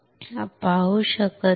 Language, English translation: Marathi, You cannot see right